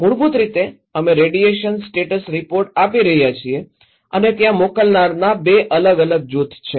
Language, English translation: Gujarati, Basically, we are giving the radiation status report the senders are two different group